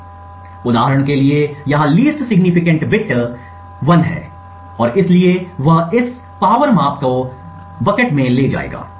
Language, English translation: Hindi, So, for example over here the least significant bit is 1 and therefore he would move this power measurement into the bucket 1